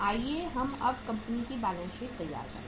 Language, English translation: Hindi, Let us prepare the balance sheet for this company